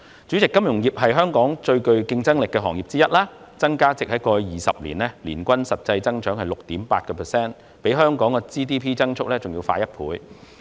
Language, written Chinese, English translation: Cantonese, 主席，金融業是香港最具競爭力的行業之一，過去20年，其增加值的年均實質增長為 6.8%， 較香港 GDP 的增速快一倍。, President the financial industry is one of the most competitive industries in Hong Kong . Over the past two decades the actual annual increase in the value - added of the industry has averaged 6.8 % which doubles the growth rate of Hong Kongs Gross Domestic Product GDP